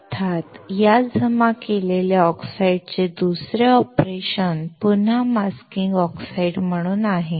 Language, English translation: Marathi, Of course, the other operation of this deposited oxide is again as masking oxides